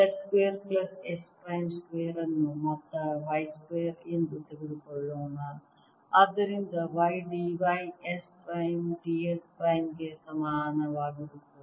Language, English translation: Kannada, lets take z square plus s prime square to be sum y square, so that y d y is equal to s prime d s prime